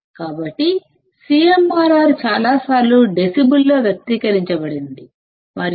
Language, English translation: Telugu, So, CMRR is many times expressed in decibels and CMRR is nothing but 20 log Ad by Acm